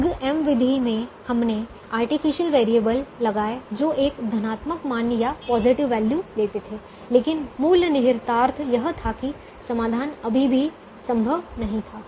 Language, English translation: Hindi, in the big m method we put the artificial variables that took a positive value, but the basic imp[lication] implication was that the solution was still infeasible